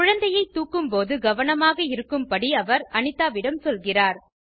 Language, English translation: Tamil, She tells Anita to be careful while carrying the baby